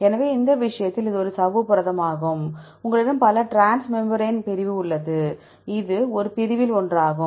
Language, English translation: Tamil, So, in this case this is a membrane protein you have several transmembrane segment this is one of the segment